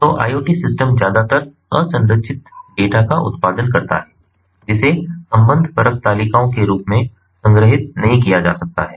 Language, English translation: Hindi, so iot systems produce mostly unstructured data which cannot be stored in the form of relational tables